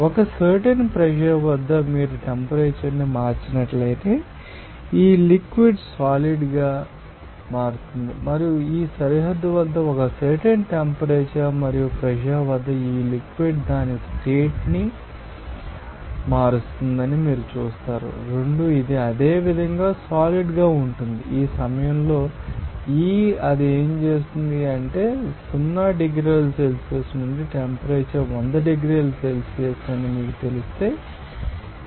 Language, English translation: Telugu, So, here this how at a particular you know pressure if you change the temperature this liquid will be converting into solid and at this boundary, you will see that at a particular temperature and pressure this liquid just changing its you know state 2 it is solid similarly, at this point E what does it mean that if you know change the temperature from 0 degree Celsius to you know that 100 degrees Celsius, what will happen